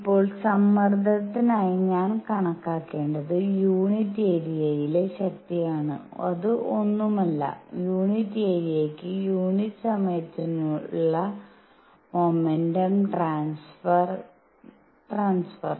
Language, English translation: Malayalam, Now, for pressure what I need to calculate is force per unit area which is nothing, but momentum transfer per unit time; per unit area